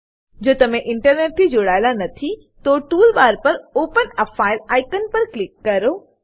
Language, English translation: Gujarati, If you are not connected to Internet, then click on Open a File icon on the tool bar